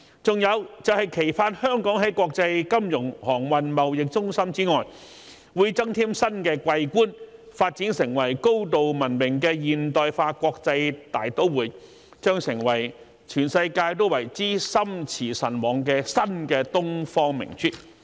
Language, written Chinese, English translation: Cantonese, 還有，期盼香港在國際金融、航運、貿易中心之外，會增添新的桂冠，發展成為高度文明的現代化國際大都會，將成為全世界都為之心馳神往的新東方明珠。, Furthermore it is expected that Hong Kong will add new laurels to its status as an international financial shipping and trade centre and develop into a highly civilized and modernized cosmopolitan city becoming the new Pearl of the Orient to which the whole world will aspire